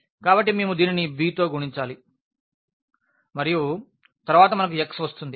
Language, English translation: Telugu, So, we multiplied by this b and then we will get the x